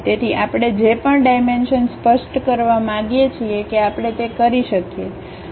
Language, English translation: Gujarati, So, whatever the dimension we would like to really specify that we can do that